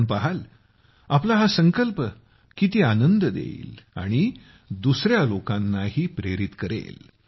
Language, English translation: Marathi, You will see, how much satisfaction your resolution will give you, and also inspire other people